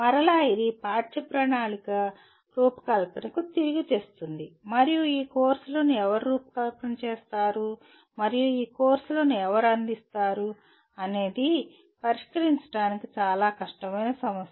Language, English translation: Telugu, And again it brings it back to curriculum design and who will design these courses and who will offer these courses is a fairly difficult issue to address